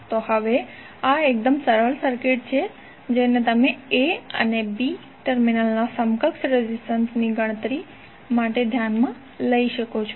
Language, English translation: Gujarati, So now this is even very simple circuit which you can consider for the calculation of equivalent resistance across A and B terminal